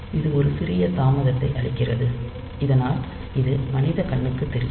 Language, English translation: Tamil, So, this puts a small delay into this display, so that it is visible to the human eye